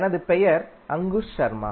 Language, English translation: Tamil, My name is Ankush Sharma